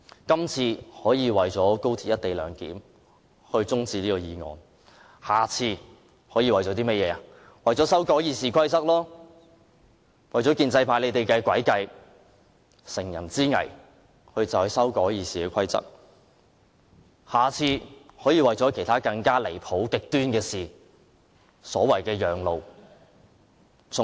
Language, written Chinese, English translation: Cantonese, 今次可以為了高鐵"一地兩檢"中止辯論此項法案，下次可以為了修改《議事規則》，為了讓建制派乘人之危的詭計得逞，或為了其他更離譜、更極端的事而要求立法會讓路。, If this time we adjourn the debate on the Bill to give way to the motion on the co - location arrangement of XRL then next time the Government can ask the Legislative Council to give way to say the amendment of the Rules of Procedure RoP a trick employed by the pro - establishment camp to take advantage of the precarious position of the democrats or to give way to other more outrageous and extreme items of business